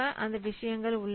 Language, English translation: Tamil, So those things are there